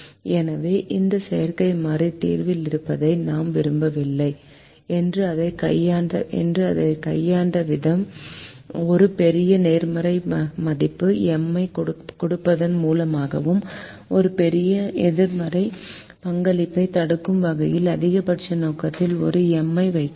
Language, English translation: Tamil, so we said we don't want this artificial variable to be in the solution and the way we handle it is by giving a large positive value, m, and we are putting a minus m in the maximization objective so that a large negative contribution prevents this variable from being in the solution